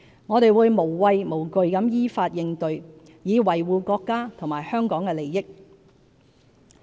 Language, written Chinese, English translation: Cantonese, 我們會無畏無懼地依法應對，以維護國家和香港的利益。, We will fearlessly take actions against such acts according to the law in order to safeguard the interests of the country and Hong Kong